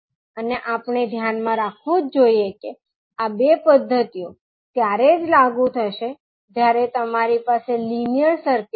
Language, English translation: Gujarati, And we have to keep in mind that these two methods will only be applicable when you have the linear circuit